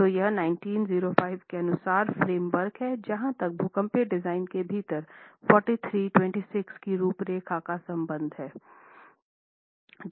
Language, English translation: Hindi, So, this is the framework as far as 1905 436 within seismic design is concerned